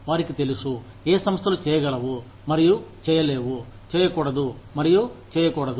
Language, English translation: Telugu, They know, what organizations can and cannot do, should and should not do